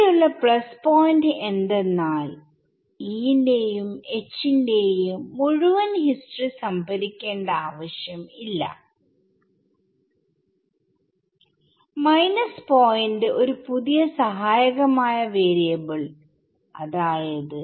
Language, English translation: Malayalam, So, the plus point is, no need to store entire history of E and H and the minus point is store one new Aux variable auxiliary variable what which is psi